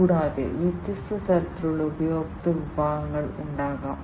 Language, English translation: Malayalam, And there could be different types of customer segments